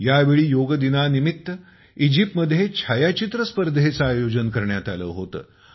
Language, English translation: Marathi, This time in Egypt, a photo competition was organized on Yoga Day